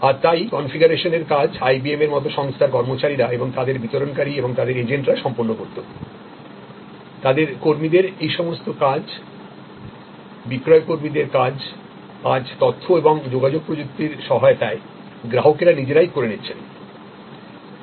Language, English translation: Bengali, And so the configuration work was done by employees of the companies like IBM and their distributors and their agents, all those functions of their employees, sales employees by taking over by the customer himself or herself with the help of information and communication technology